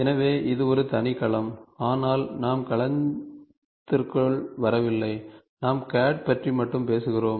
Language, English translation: Tamil, So, that is a separate domain, but we are not getting into the domain, we are talking only about CAD